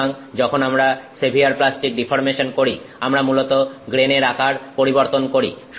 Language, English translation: Bengali, So, when we do severe plastic deformation, we have basically changed grain size